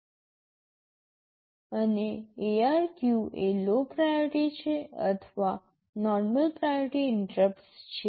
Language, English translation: Gujarati, And IRQ is the low priority or the normal priority interrupts